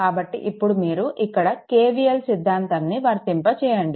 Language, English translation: Telugu, So, you apply KVL like this, you apply KVL like this